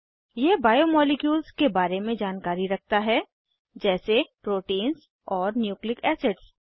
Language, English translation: Hindi, It has information about biomolecules such as proteins and nucleic acids